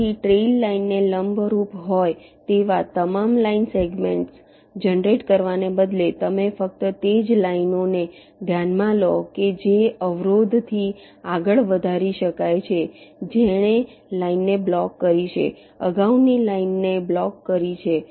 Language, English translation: Gujarati, so, instead of generating all line segments that have perpendicular to a trail line, you consider only those lines that can be extended beyond the obstacle which has blocked the line, blocked the preceding line